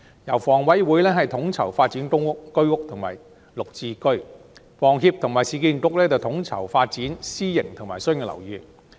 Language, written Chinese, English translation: Cantonese, 由房委會統籌發展公屋、居屋及綠置居，由房協及市建局統籌發展私營及商業樓宇。, HA can coordinate the development of public housing the Home Ownership Scheme and the Green Form Subsidised Home Ownership Scheme while HS and URA can coordinate the development of private and commercial buildings